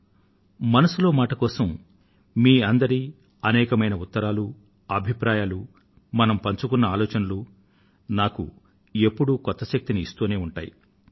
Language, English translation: Telugu, Your steady stream of letters to 'Mann Ki Baat', your comments, this exchange between minds always infuses new energy in me